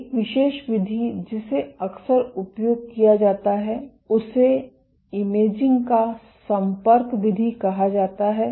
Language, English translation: Hindi, One particular mode which is often used is called the contact mode of imaging